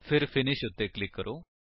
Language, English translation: Punjabi, Then click on Finish